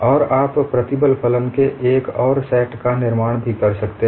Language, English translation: Hindi, And you can also construct another set of stress functions